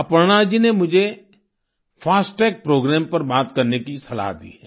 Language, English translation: Hindi, Aparna ji has asked me to speak on the 'FASTag programme'